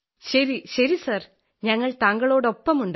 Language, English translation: Malayalam, Sir we are with you